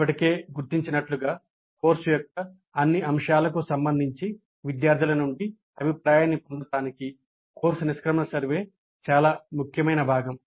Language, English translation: Telugu, As already noted, the course exit survey is an extremely important component to obtain feedback from the students regarding all aspects of the course